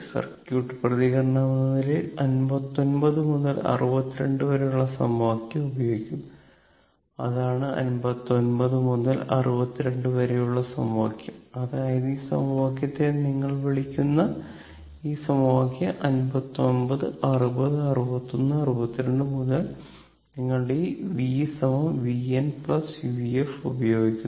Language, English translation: Malayalam, As the circuit response, we will use the technique that equation 59 to 62, that is this equation to 59 to 62; that means, this your what you call this equation this equations that from 59, 60, 61, 62 you using this v is equal to v n plus v f